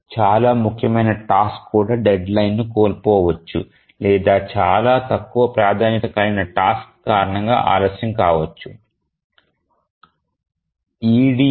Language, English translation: Telugu, Even the most important task can miss a deadline because a very low priority task it just got delayed